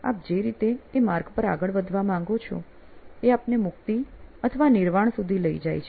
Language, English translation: Gujarati, The way you want to do it the path forward which sets you to liberation or Nirvana